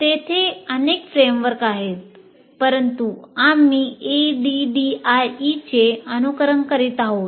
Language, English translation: Marathi, There are several frameworks, but the one we are following is ADDI